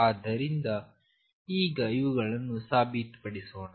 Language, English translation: Kannada, So, let us now prove these